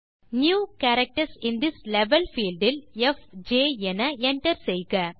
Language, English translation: Tamil, In the New Characters in this Level field, enter fj